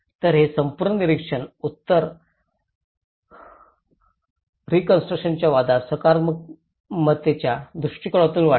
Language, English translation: Marathi, So this whole observation grows from a positivist approach to the post structuralism